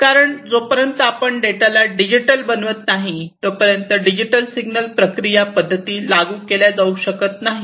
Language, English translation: Marathi, Because unless you make it digital, digital signal processing methods cannot be applied